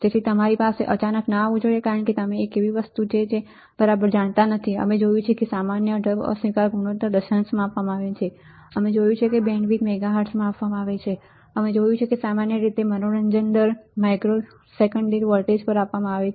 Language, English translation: Gujarati, So, it should not come to you as suddenly you a something that you do not even know right, we have seen that common mode rejection ratio is given in decimals, we have seen that the bandwidth is given in the megahertz, we have seen that slew rate is generally given as volts per microsecond right power consumption is generally in millivolts